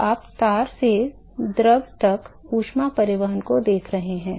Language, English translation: Hindi, So, you are looking at heat transport from the wire to the fluid